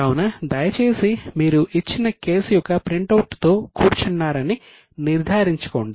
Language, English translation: Telugu, So, please ensure that you are sitting with the printout of the given case